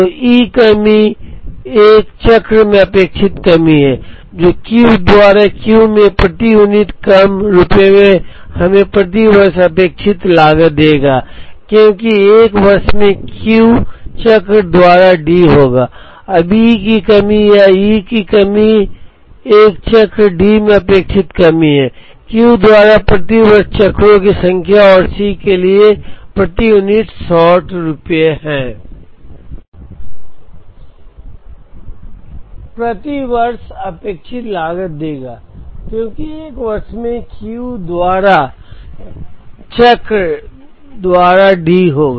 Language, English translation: Hindi, So the E shortage is the expected shortage in a cycle that, into rupees per unit short into D by Q will give us the expected cost per year because, there will be D by Q cycles in a year